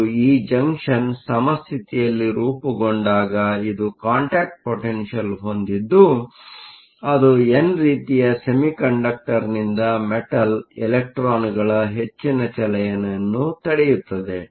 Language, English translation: Kannada, And, when this junction forms under equilibrium you have a contact potential that prevents further motion of electrons from the n type semiconductor to the metal